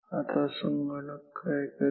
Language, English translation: Marathi, So, the computer what the computer will do